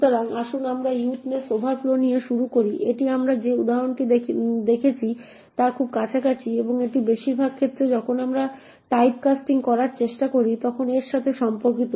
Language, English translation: Bengali, So, let us start with widthness overflow, so this is very close to the example that we have seen and it is mostly related to when we try to do typecasting